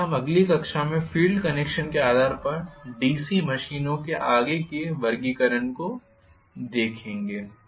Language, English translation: Hindi, So we will look at further classification of DC machines based on the field connection in the next class